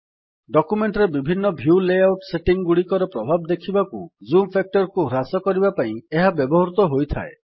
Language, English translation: Odia, It is used to reduce the zoom factor to see the effects of different view layout settings in the document